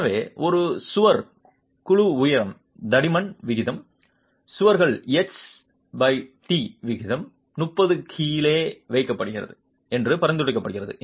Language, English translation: Tamil, So, it is prescribed that the wall panel height to thickness ratio, H by T ratio of walls is kept below 30 and we have seen this number 30 comes back to us